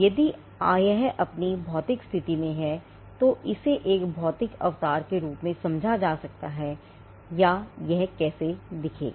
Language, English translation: Hindi, This could be understood as a physical embodiment or how it will look